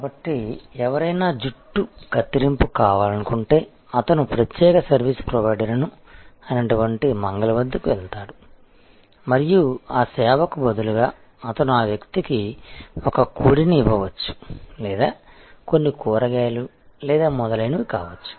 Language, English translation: Telugu, So, if somebody wanted a haircut, then he will go to the specialized service provider, the barber and in exchange of that service he would possibly give that person a chicken or may be some vegetables or so on